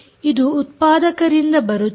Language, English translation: Kannada, this comes from the manufacturer